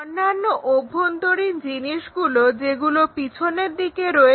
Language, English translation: Bengali, And the other internal things at back side of that that is not visible